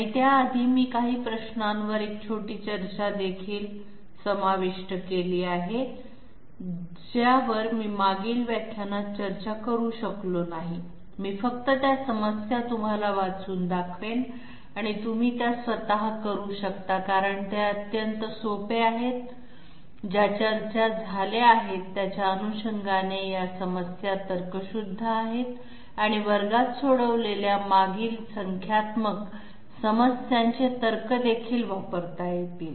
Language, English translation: Marathi, And before that I have also included a short discussion on you know some of the questions which I could not discuss in the previous lecture I will just read out those problems to you and you can do them yourself because they are extremely simple, they follow the logic of the discussion which have taken place and also the logic of the previous numerical problems which has been solved in the class